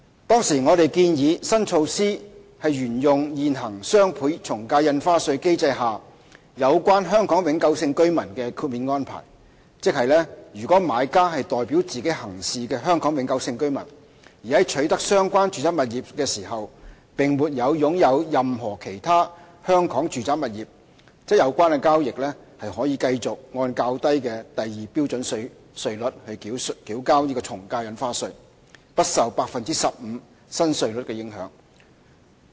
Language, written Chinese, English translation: Cantonese, 當時我們建議，新措施沿用現行雙倍從價印花稅機制下有關香港永久性居民的豁免安排，即：如買家是代表自己行事的香港永久性居民，而在取得相關住宅物業時並沒有擁有任何其他香港住宅物業，則有關交易可繼續按較低的第2標準稅率繳交從價印花稅，而不受 15% 新稅率的影響。, At that time we proposed that the new measure would continue to adopt the exemption arrangement for the HKPRs concerned provided for under the existing doubled ad valorem stamp duty DSD regime . In other words provided that the buyer is a HKPR who is acting on hisher own behalf and is not the owner of any other residential property in Hong Kong at the time of the acquisition of the residential property concerned the lower AVD rates at Scale 2 will continue to be applicable and the transaction will not be subject to the new rate of 15 %